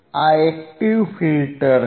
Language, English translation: Gujarati, This is the active filter